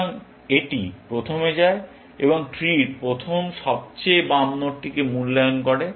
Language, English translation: Bengali, So, it first goes and evaluates the first left most node in the tree